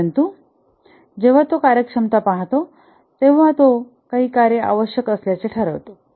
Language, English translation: Marathi, But as he looks at functionalities, then you can make out that certain functions will be required